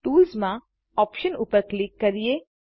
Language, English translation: Gujarati, Under Tools, click on Options